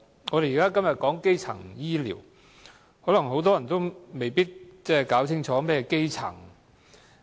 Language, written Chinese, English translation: Cantonese, 我們今天討論基層醫療，但很多人未必清楚何謂基層醫療。, Today we are having a debate on primary health care . However not many people are clear about the meaning of primary health care